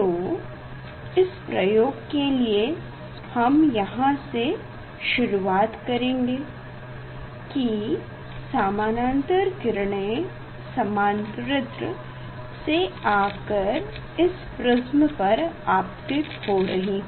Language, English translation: Hindi, this we can start from here for this experiment that this parallel rays are coming and falling on the prism, this surface